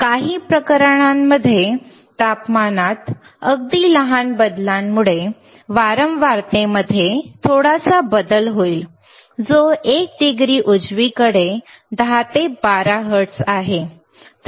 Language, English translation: Marathi, So, in some of the cases, even the smallest change in the temperature will cause a little bit change in the frequency which is 10 to 12 hertz for 1 degree right